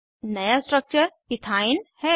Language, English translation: Hindi, The new structure is Ethene